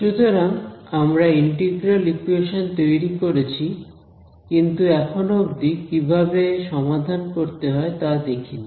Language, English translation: Bengali, So, let us what we have done is we have just formulated the Integral Equation we have not yet come upon how do we actually solve it